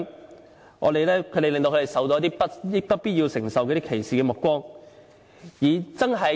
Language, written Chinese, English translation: Cantonese, 這些濫用聲請人令他們受到一些不必要承受的歧視目光。, People who abuse the system have caused unnecessary discrimination against them